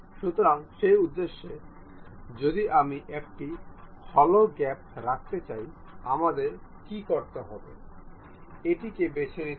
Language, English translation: Bengali, So, for that purpose, if we would like to have a hollow gap, what I have to do, pick this one